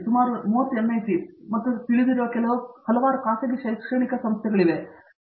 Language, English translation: Kannada, I heard that, there are about 30 NIT's and a number of private you know academic institutions